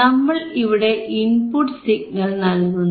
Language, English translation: Malayalam, Now, we apply input signal here